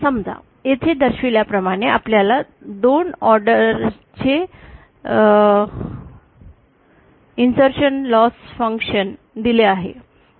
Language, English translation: Marathi, Now let us suppose that we are given a 2nd order insertion loss function as shown here